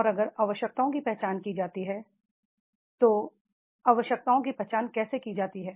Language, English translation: Hindi, And if the needs are identified, how needs are to be identified by performance review